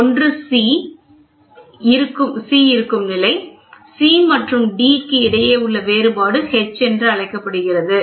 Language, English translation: Tamil, One is the level where C is there, the difference between C minus D is called H